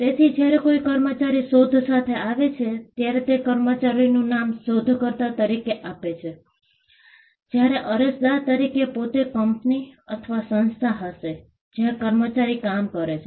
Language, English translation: Gujarati, So, when an employee comes with an invention, the employees name figures as the inventor’s name, whereas, the applicant will be the company itself; company or the organization to where the employee works